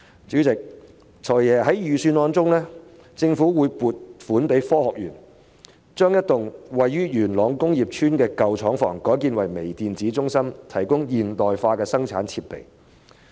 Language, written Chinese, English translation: Cantonese, 主席，"財爺"在預算案中提到政府將會撥款予香港科技園公司，把一幢位於元朗工業邨的舊廠房改建為微電子中心，提供現代化的生產設備。, President the Financial Secretary has stated in the Budget that the Government will provide the Hong Kong Science and Technology Parks Corporation with funding for converting an old factory in the Yuen Long Industrial Estate into a Microelectronics Centre to provide modern manufacturing facilities